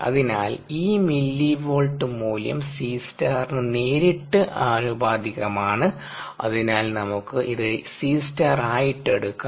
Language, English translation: Malayalam, so this millivolt value is directly proportional to c star and therefore, let us take it has c star